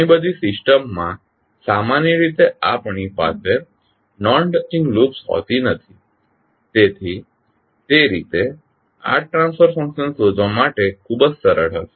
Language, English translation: Gujarati, So many system generally we do not have the non touching loops, so in that way this will be very easy to find the transfer function